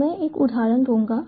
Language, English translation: Hindi, so i will give one example